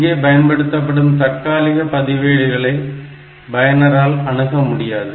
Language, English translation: Tamil, So, this temporary register is not accessible by the programmer